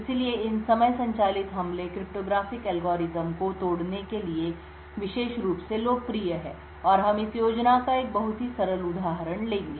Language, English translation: Hindi, So, these time driven attacks are especially popular for breaking cryptographic algorithms and we will take one very simple example of this scheme